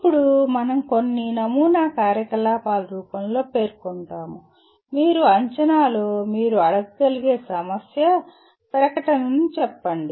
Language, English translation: Telugu, Now some sample activities which we will state in the form of let us say a kind of a problem statement what you can ask in assessment